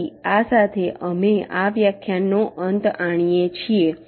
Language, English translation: Gujarati, so with this we come to the end of this lecture, thank you